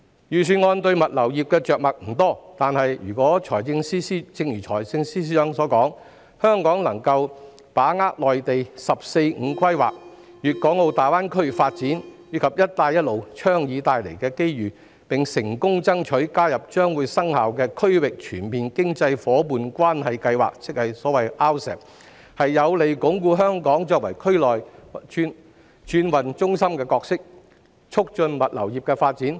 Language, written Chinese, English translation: Cantonese, 預算案對物流業着墨不多，但正如財政司司長所說，若香港能把握內地"十四五"規劃、粵港澳大灣區發展及"一帶一路"倡議帶來的機遇，並成功爭取加入將會生效的《區域全面經濟伙伴關係協定》，即 RCEP， 將有利鞏固香港作為區內轉運中心的角色，促進物流業的發展。, The Budget makes little mention of the logistics industry . But as FS has remarked if Hong Kong can seize the opportunities brought by the National 14 Five - Year Plan the development of the Guangdong - Hong Kong - Macao Greater Bay Area and the Belt and Road Initiative and succeeds in gaining accession to the Regional Comprehensive Economic Partnership which will come into effect this will be conducive to reinforcing Hong Kongs role as the transhipment hub in the region and facilitating the development of the logistics industry